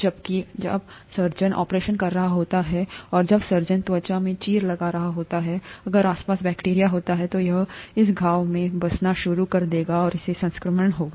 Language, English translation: Hindi, Whereas when the surgeon is operating, and when the surgeon is making an incision in the skin, if there are bacteria around, it will start settling in this wound and that will cause infection